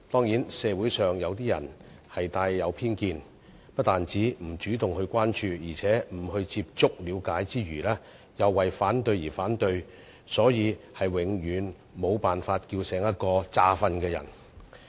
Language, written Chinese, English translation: Cantonese, 然而，社會上部分人帶有偏見，不但不會主動關注，而且不接觸了解之餘，更為反對而反對，我們是永遠無法喚醒裝睡的人。, However opposing for the sake of opposing some people in society simply shut the door on the development plan out of prejudice . We can never awake those people who are feigning sleep